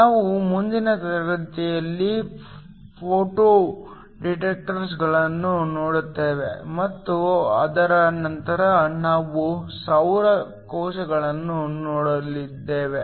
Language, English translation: Kannada, We will look at photo detectors in next class and after that we look at solar cells